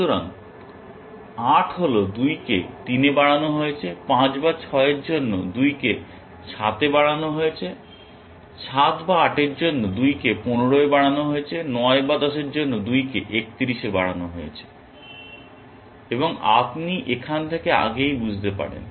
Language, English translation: Bengali, So, 8 is equal to 2 raised to 3, for 5 or 6 it is 2 raised to 7, for 7 or 8 it is 2 raised to 15, for 9 or 10 it is 2 raised to 31 and you can extrapolate from here